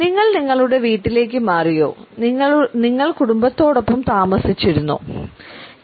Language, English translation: Malayalam, Did you move into your home your family did you live